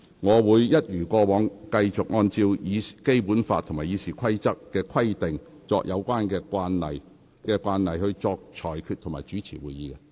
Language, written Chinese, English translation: Cantonese, 我會一如以往，繼續按照《基本法》和《議事規則》的規定以及有關慣例，去主持立法會會議及作出裁決。, I will continue to chair the meetings of this Council and make rulings according to the Basic Law RoP and the relevant practices as in the past